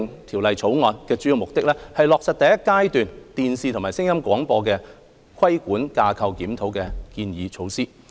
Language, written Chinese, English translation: Cantonese, 《條例草案》的主要目的，是落實第一階段"電視及聲音廣播規管架構檢討"的建議措施。, The Bill mainly seeks to implement the measures proposed in the Review of Television and Sound Broadcasting Regulatory Framework the Review in the first phase